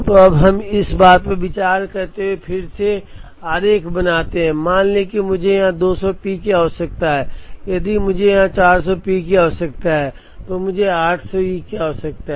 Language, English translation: Hindi, So now, let us draw this diagram again considering that, let us say I need 200 P here, if I need 400 P here, I need 800 E